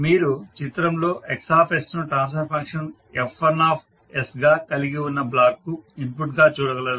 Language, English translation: Telugu, So you can see in the figure the Xs is the input to the block having transfer function F1s